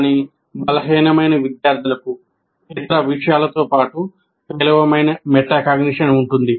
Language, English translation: Telugu, But weaker students typically have poor metacognition besides other things